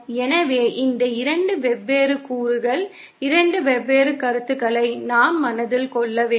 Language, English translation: Tamil, So, these are 2 different components, 2 different concepts we have to keep in mind